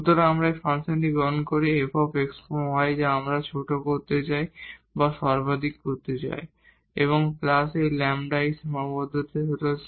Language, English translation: Bengali, So, we take this function f x y which we want to minimize or maximize and plus this lambda and this constraint this phi x y